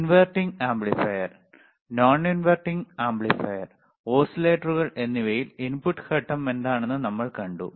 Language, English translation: Malayalam, Wwe have seen in inverting amplifier, we have seen in non inverting amplifier, and iwe have seen in oscillators, that what is the input phase